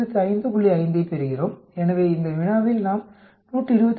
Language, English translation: Tamil, 5, so this problem we get it as 125